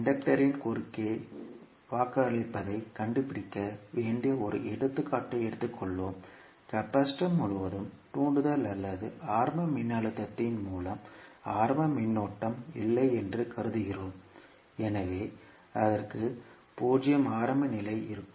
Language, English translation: Tamil, Let us take one example where we need to find out v naught at any time T across the inductor and we assume that there is no initial current through the inductor or initial voltage across the capacitor, so it will have the 0 initial condition